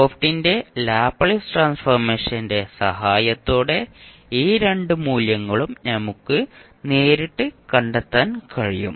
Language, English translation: Malayalam, And we can find out these two values directly with the help of Laplace transform of f t that is F s